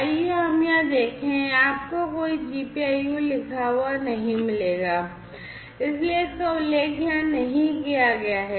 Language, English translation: Hindi, Let us look at this over here you do not find any GPIO written, right, so it is not mentioned over here